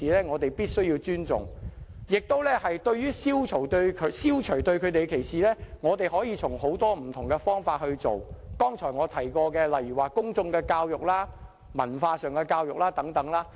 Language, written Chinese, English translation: Cantonese, 我們必須尊重不同性傾向人士，而消除對他們的歧視，可從很多不同的方法着手，例如我剛才提過的公眾教育、文化教育等。, We must respect people with different sexual orientations and there can be many different ways to eliminate discrimination against them such as public education cultural education and so on that I have just mentioned